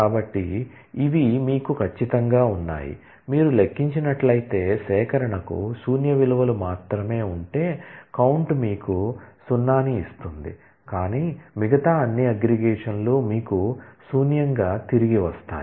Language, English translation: Telugu, So, these are what do you have of course, if you count then, if the collection has only null values the count will return you 0, but all other aggregates will return you simply null